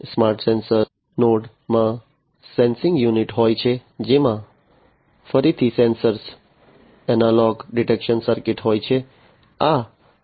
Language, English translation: Gujarati, A smart sensor node has the sensing unit, which again has a sensor, an analog detection circuit